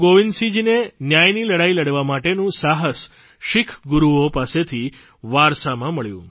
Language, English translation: Gujarati, Guru Gobind Singh ji had inherited courage to fight for justice from the legacy of Sikh Gurus